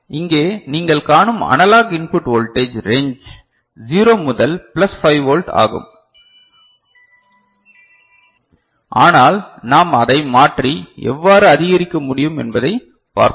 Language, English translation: Tamil, And the analog input voltage range that you see over here is 0 to plus 5 volt as such, but we shall see how we can increase, when we can change it, ok